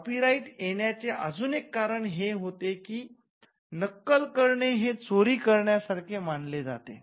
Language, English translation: Marathi, Another rationale for having copyright is that copying is treated as an equivalent of theft